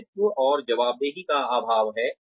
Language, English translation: Hindi, There is lack of ownership and accountability